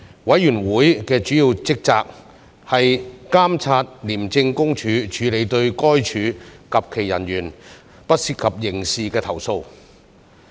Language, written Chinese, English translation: Cantonese, 委員會的主要職責，是監察廉政公署處理對該署及其人員不涉及刑事的投訴。, The Committees major responsibility is to monitor the handling by the Independent Commission Against Corruption ICAC of non - criminal complaints lodged by anyone against ICAC and its officers